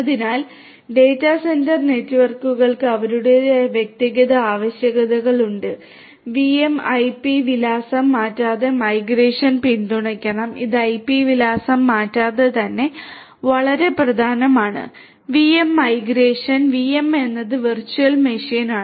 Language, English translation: Malayalam, So, data centre networks have their own individual requirements VM migration without changing IP address should be supported this is very very important without changing the IP address, VM migration VM is the virtual machine